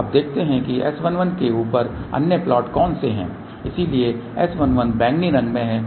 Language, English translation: Hindi, So, now let us see what are the other plots over here S 1 1 , so S 1 1 is this plot in the purple color